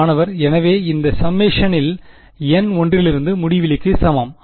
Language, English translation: Tamil, So, in this summation n equal to 1 to infinity